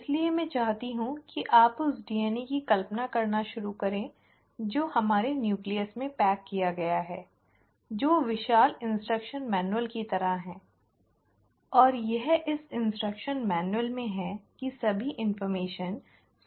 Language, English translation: Hindi, So I want you to start imagining that DNA which is packaged in our nucleus is like our huge instruction manual, and it is in this instruction manual that all the information is kind of catalogued and kept